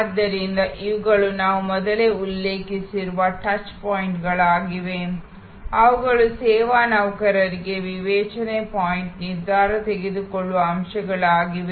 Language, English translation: Kannada, So, these are the touch points, that we have referred to earlier, which are also discretion point decision making points for service employees